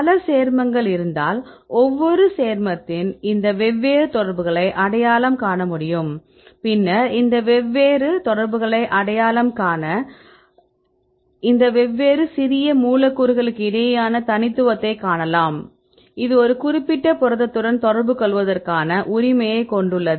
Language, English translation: Tamil, So, if you have several compounds then we can identify these different affinities of each compound then you can find the specificity right among these different small molecules, which one has the best preference right to interact with a particular protein